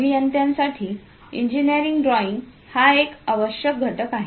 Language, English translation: Marathi, Engineering drawing is essential component for engineers